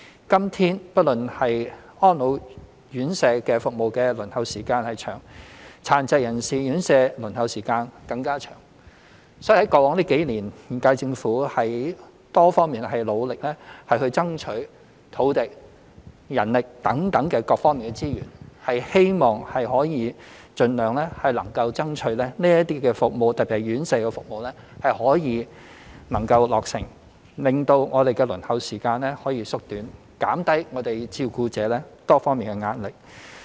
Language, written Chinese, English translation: Cantonese, 今天，安老院舍服務輪候時間長，殘疾人士院舍輪候時間更加長，所以過往數年，現屆政府從多方面努力爭取土地、人力等各方面資源，希望可以盡量能夠爭取這些服務——特別是院舍照顧服務——得以能夠落成，令輪候時間可以縮短，減輕照顧者多方面的壓力。, Today the waiting time for residential care services for persons with disabilities is even longer than that for the elderly . In view of this the current - term Government has worked hard over the years to secure resources through different means for the provision of residential care services in particular with a view to shortening the waiting time and easing the pressure on carers